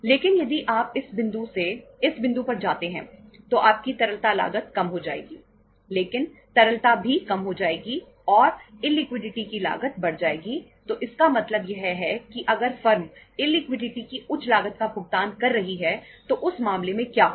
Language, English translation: Hindi, But if you go from this point to this point, your liquidity will your cost will go down but liquidity will also go down and the cost of illiquidity will increase so if it means if the firm is paying the higher cost of illiquidity in that case what will happen